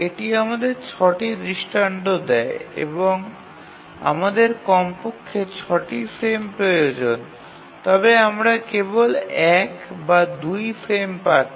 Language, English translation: Bengali, So that gives us six instances and we need at least six frames but then we are getting only either one or two frames